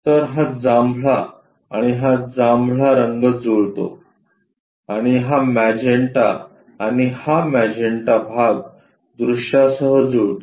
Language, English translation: Marathi, So, this purple one and this purple one matches and this magenta and this magenta portion matches the view